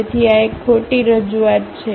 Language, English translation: Gujarati, So, this is a wrong representation